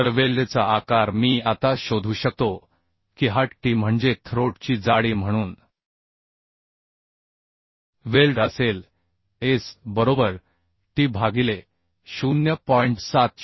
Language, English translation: Marathi, So size of the weld I can find out now this is t means throat thickness so size of weld will be S is equal to t by 0